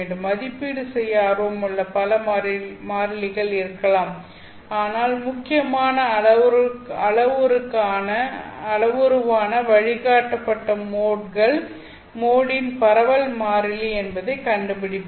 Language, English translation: Tamil, Now there might be many constants that are interesting to evaluate but what you are after is to find this critical parameter known as propagation constant of the guided mode